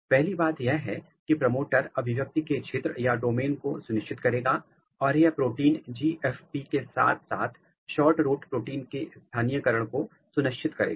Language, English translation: Hindi, The first thing is that the promoter will ensure the domain of expression and this protein the GFP will ensure the localization of the SHORTROOT protein